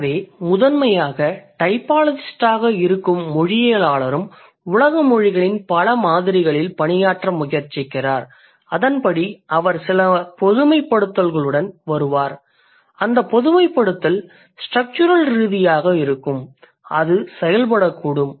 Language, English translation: Tamil, So, primarily a linguistic, like a linguist who is also a typologist is trying to work on multiple samples of world's languages and accordingly they would come up with some generalization and the generalization could be structural, it could be functional also